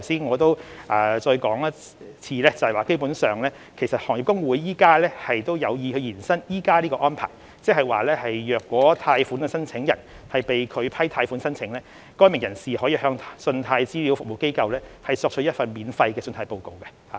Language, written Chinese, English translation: Cantonese, 我在此重申，行業公會有意延伸現行安排，即如果貸款申請人被拒批貸款申請，該名人士可向信貸資料服務機構索取一份免費的信貸報告。, Here I reiterate that the Industry Associations intend to extend the existing arrangement under which an individual loan applicant may obtain a free credit report from CRA after the rejection of his loan application